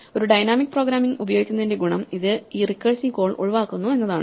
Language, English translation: Malayalam, One of the advantages of using dynamic programming is it avoids this recursive call